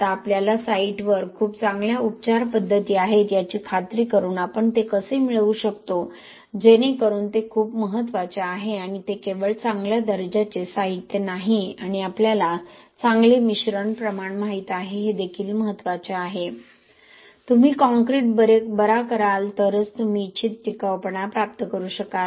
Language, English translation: Marathi, Now how do we get that by ensuring that you have well very good curing practices at site, so that is something very very important and it is not just having good quality materials and you know a good mixture proportion it is also a matter of how well you cure the concrete then only you will be able to achieve the desired durability